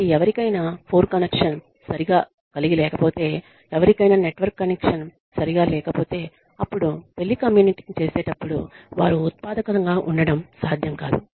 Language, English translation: Telugu, So, if somebody has a bad network connection, if somebody has a bad phone connection, then it will not be possible for them, to be productive, while telecommuting